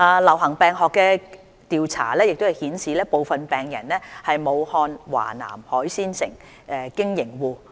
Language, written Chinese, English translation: Cantonese, 流行病學調查顯示，部分病人是武漢華南海鮮批發市場經營戶。, Epidemiological investigations reveal that some patients are business operators at a seafood wholesale market in Wuhan